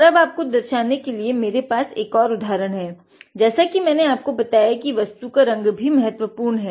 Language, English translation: Hindi, And one more example I have to show is I told you the colour of the object also is important